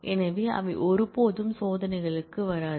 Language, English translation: Tamil, So, they will never come up for tests